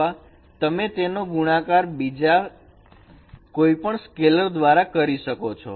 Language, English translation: Gujarati, 01 or you can multiply it using any scalar constant